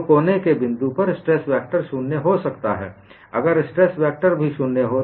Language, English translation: Hindi, So, at the corner point, stress vector can be 0, only if stress tensor is also 0